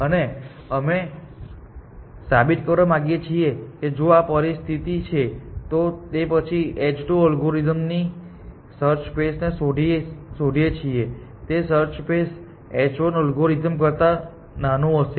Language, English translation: Gujarati, And we want to make a claim that if this is the situation, then the search space explore by the algorithm using h 2 will be smaller than the search space by algorithm using h 1